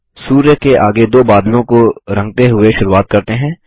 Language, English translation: Hindi, Lets begin by coloring the two clouds next to the sun